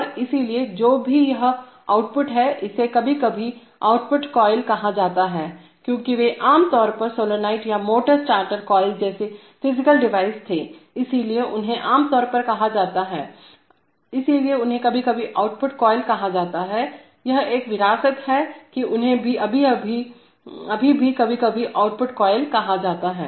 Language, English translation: Hindi, And so, whatever this output is, this is sometimes used to be called an output coil, because they were typically physical devices like solenoids or motor starter coils, so they are typically called, so they are sometimes called output coils, it is a legacy that, they are still sometimes called output coils